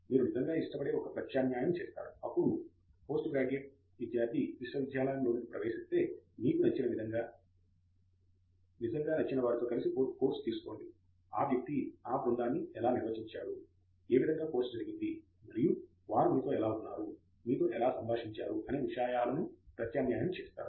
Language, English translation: Telugu, You do a substitute really like it, then may be as a post graduate student entering university you take a course with someone you really like how the course went, how the person handled the class, the subject matter and also how they interacted with you